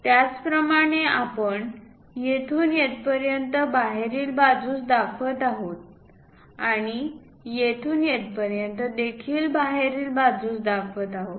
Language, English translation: Marathi, Similarly, from here to here also we are showing outside and here to here also outside